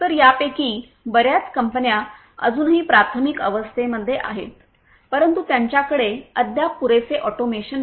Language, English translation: Marathi, So, most of this companies are still in the primitive stages they are they still do not have you know adequate automation in them